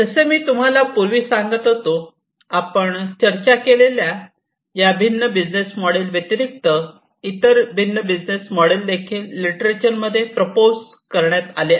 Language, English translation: Marathi, So, as I was telling you earlier; so there are beyond these different business models, there are different other business models, that are also available, that have been proposed in the literature